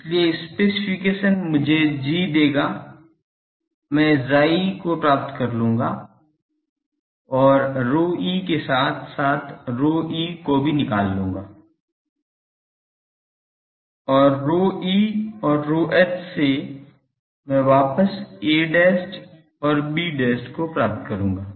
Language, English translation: Hindi, So, the specification will give me G I will find chi from chi I will find rho e as well as rho h and from rho e and rho h I will go back to a dash and b dash